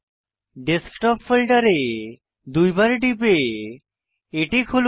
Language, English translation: Bengali, Lets open the Desktop folder by double clicking on it